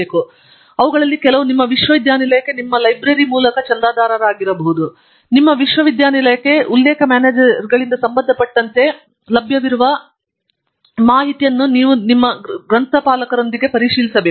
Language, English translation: Kannada, And, some of them may be subscribed by your library for your university; you must check with your library what are available for your university as far as reference managers are concerned